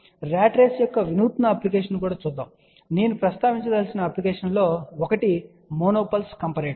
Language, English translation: Telugu, Let us look at different applications of a ratrace also ok and one of the application which I would like to mention is a mono pulse comparator